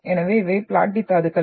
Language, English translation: Tamil, So these are platy minerals